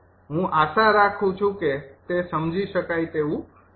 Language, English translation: Gujarati, i hope it is understandable